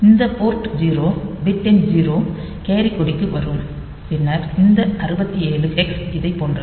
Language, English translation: Tamil, So, this port 0s bit number 0 will come to the carry flag then this 67 hex like say this one